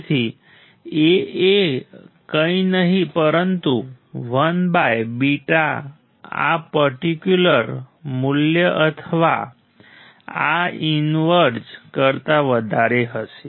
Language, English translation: Gujarati, So, A would be nothing, but 1 by beta greater than this particular value or inverse of this right